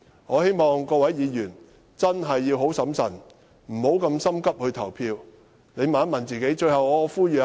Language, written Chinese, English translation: Cantonese, 我希望各位議員要非常審慎，不要急於投票，先問問自己。, I hope that each Member will be very cautious and refrain from voting hastily . They should ask themselves first before voting